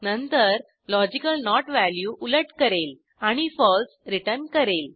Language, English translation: Marathi, Then the logical NOT will inverse that value and return false